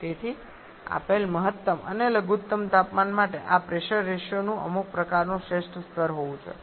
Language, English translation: Gujarati, Therefore for a given maximum and minimum temperatures there has to be some kind of optimum level of this pressure ratio